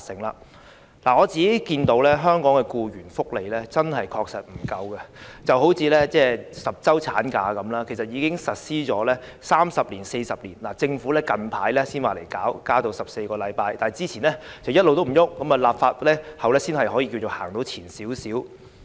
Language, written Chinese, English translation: Cantonese, 香港的僱員福利確實不足夠，就以10周產假為例，其實已實施三四十年，政府最近才提出增至14周，之前一直也沒有任何行動，立法後才可以說走前了一小步。, It is not until recently that the Government has proposed to increase statutory maternity leave to 14 weeks . To be given effect by legislation such a proposal still represents only a small step forward . Look at what happened after the typhoon Mangkhut had stormed Hong Kong recently